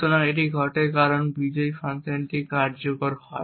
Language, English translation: Bengali, So, this happens because the winner function gets executed